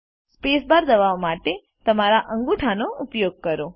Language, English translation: Gujarati, Use your right thumb to press the space bar